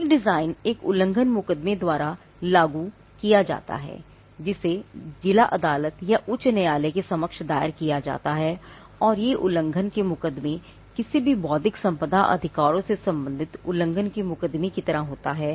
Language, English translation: Hindi, A design is enforced by an infringement suit, which is filed before the district court or the high court and in an infringement suit like any infringement suit pertaining to intellectual property rights